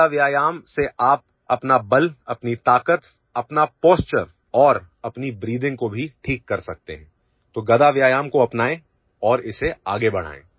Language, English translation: Hindi, With mace exercise you can improve your strength, power, posture and even your breathing, so adopt mace exercise and take it forward